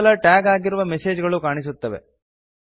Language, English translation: Kannada, Only the messages that we tagged are displayed